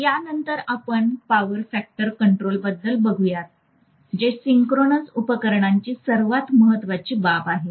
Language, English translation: Marathi, After this, we will be talking about power factor control which is one of the most important aspects of the synchronous machine